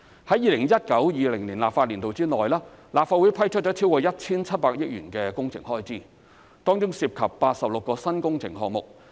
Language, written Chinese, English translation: Cantonese, 在 2019-2020 立法年度內，立法會批出超過 1,700 億元的工程開支，當中涉及86個新工程項目。, In the 2019 - 2020 legislative session the Legislative Council has approved works expenditure of over 170 billion involving 86 new project items